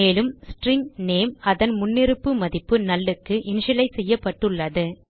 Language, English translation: Tamil, And the String name has been initialized to its default value null